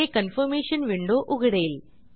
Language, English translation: Marathi, This will open a Confirmation window